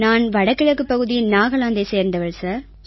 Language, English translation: Tamil, I belong to the North Eastern Region, Nagaland State sir